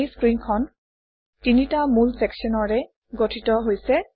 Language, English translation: Assamese, This screen is composed of three main sections